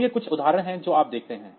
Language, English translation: Hindi, So, these are some of the examples that you see